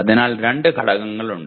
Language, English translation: Malayalam, So there are 2 elements